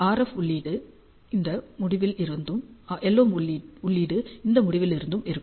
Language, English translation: Tamil, And the RF input is from this end the LO input is from this end